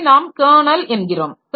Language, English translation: Tamil, So, that we call the kernel